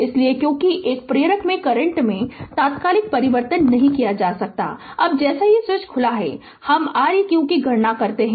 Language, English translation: Hindi, So, because an instantaneous change in the current cannot occur in an inductor, now as the switch is open we compute R eq